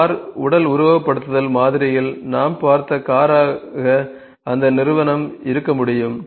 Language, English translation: Tamil, The entity can be the car that we have just saw in the car body simulation model